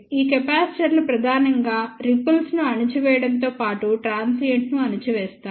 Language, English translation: Telugu, These capacitors are mainly for suppressing the ripples as well as suppressing the transient